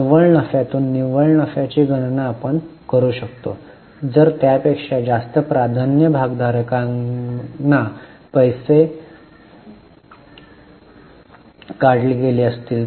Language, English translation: Marathi, We can calculate the net profit from net profit if there are any payments to be made to preference shareholders etc